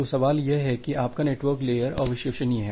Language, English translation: Hindi, So, the question comes that your network layer is unreliable